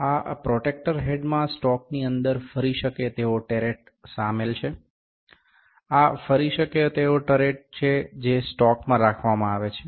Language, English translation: Gujarati, This protractor head comprises of a rotatable turret within a stock, this is a rotatable turret, which is held within a stock